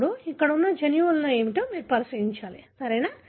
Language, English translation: Telugu, Now, you need to look into what are the genes that are located here, right